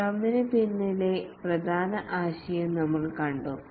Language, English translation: Malayalam, We have seen the main idea behind the scrum